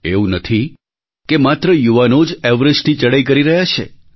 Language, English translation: Gujarati, And it's not that only the young are climbing Everest